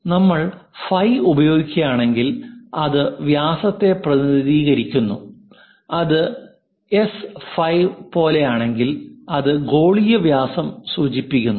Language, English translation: Malayalam, If we are using phi it represents diameter, if it is something like S phi its indicates that spherical diameter